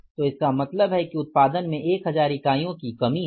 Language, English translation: Hindi, So, it means there is a reduction by the production by 1,000 units